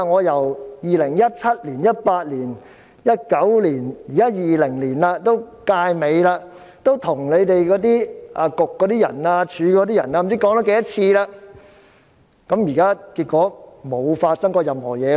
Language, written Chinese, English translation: Cantonese, 由2017年、2018年、2019年到現在2020年，本屆立法會已快完結，我跟局方、署方多番提出意見，結果政府甚麼也沒有做過。, From 2017 2018 2019 to the present 2020 when the current term of the Legislative Council is about to end I have relayed my views to the Bureaux and the Department time and again but the Government has not done anything